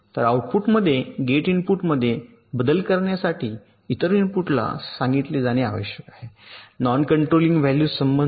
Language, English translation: Marathi, so to propagate change in a gate input to the output, the other input must be said to the corresponding non controlling values